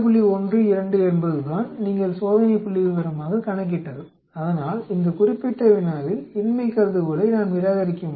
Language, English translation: Tamil, 12 is what you have calculated the test statistics so we can reject the null hypothesis in this particular problem